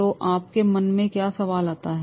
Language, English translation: Hindi, So, what question comes in your mind